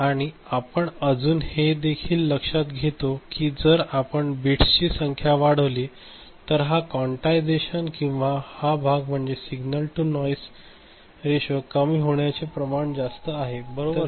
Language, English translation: Marathi, And also we take note that if we increase the number of bits, then this quantization noise or this part is, effect is less signal to noise ratio is higher, right